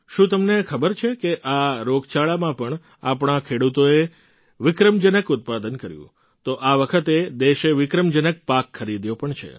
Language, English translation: Gujarati, Do you know that even in this pandemic, our farmers have achieved record produce